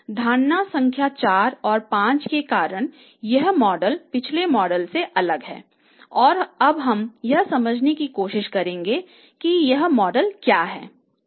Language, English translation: Hindi, So, because of this assumption number 4 and 5 this model becomes different as compared to the previous model and we will now try to understand what the model is right